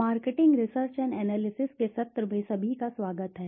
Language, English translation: Hindi, Welcome to everyone to the session of marketing research and analysis